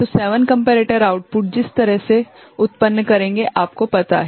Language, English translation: Hindi, So, 7 comparators will be generating output the way we have you know